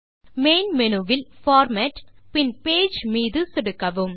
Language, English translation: Tamil, From the Main menu, click on Format and click Page